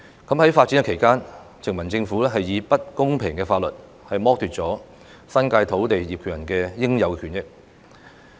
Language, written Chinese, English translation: Cantonese, 在發展期間，殖民政府以不公平的法律剝奪了新界土地業權人的應有權益。, In the course of its development the colonial Government took away the rightful interests of landowners in the New Territories through the introduction of unfair legislation